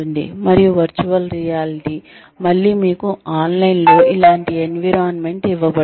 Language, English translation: Telugu, And, virtual reality is again,you are given a similar environment online